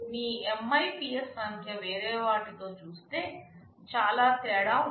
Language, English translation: Telugu, Your MIPS figure will vary drastically among them